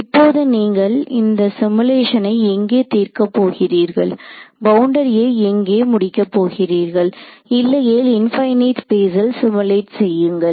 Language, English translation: Tamil, Now where do you to solve this simulation you need to terminate the boundary somewhere otherwise you I mean you can simulate infinite space